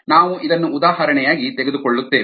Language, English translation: Kannada, we will take this is as an example